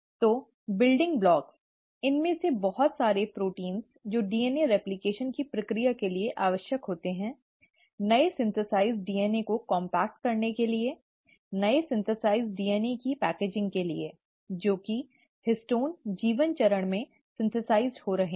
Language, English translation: Hindi, So the building blocks, a lot of these proteins which are necessary for the process of DNA replication, also for compacting the newly synthesized DNA, for the packaging of the newly synthesized DNA, which is the histones are getting synthesized in the G1 phase